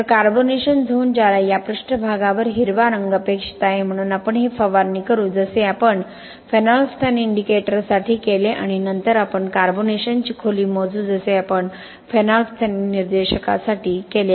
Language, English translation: Marathi, So the carbonation zone which will be expected to have a green color over this surface, so we will just spray this as we did for phenolphthalein indicator and then we will measure the carbonation depth as similar to what we did for phenolphthalein indicator